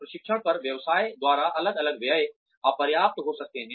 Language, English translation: Hindi, Aggregate expenditures, by business on training, may be inadequate